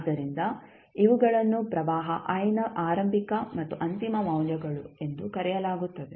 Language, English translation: Kannada, So, these are called initial and final values of current i